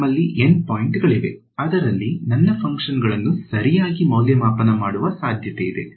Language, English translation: Kannada, We have N points at which I have a possibility of evaluating my function ok